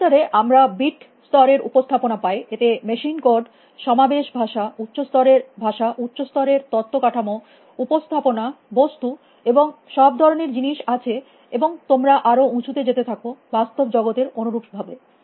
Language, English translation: Bengali, In computers, we have bit level representation; they have machine code, assembly language, higher level languages, higher level data structures, representations, objects, all kinds of things and you keep going higher, likewise in the real world out there